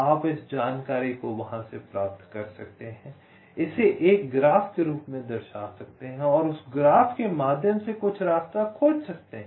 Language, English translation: Hindi, you can get this information from there, represent it as a graph and find some path through that graph